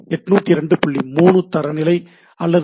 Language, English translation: Tamil, 3 standard or X